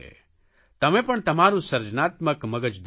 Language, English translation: Gujarati, You also utilize your creative mind